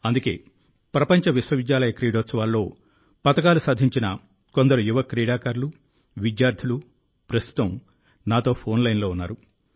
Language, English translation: Telugu, Hence, some young sportspersons, students who have won medals in the World University Games are currently connected with me on the phone line